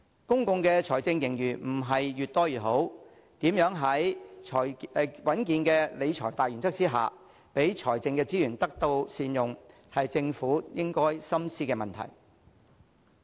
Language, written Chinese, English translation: Cantonese, 公共財政盈餘並非越多越好，如何在穩健理財的大原則下，讓財政資源得到善用，是政府應該深思的問題。, It is actually not desirable to accumulate as large an amount of fiscal reserves as possible; the Government should carefully consider how to make the best use of our fiscal resources under the principle of prudent financial management